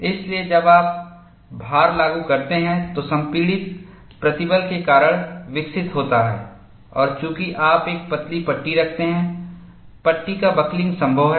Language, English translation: Hindi, So, when you apply the load, because of compressive stresses developed, and since you are having a thin panel, buckling of the panel is possible